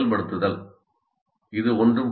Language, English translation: Tamil, This is not anything new